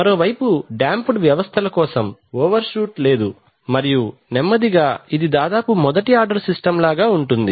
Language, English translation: Telugu, On the other hand for over damped systems, you, there is no overshoot and slowly rise, is just almost like a first order system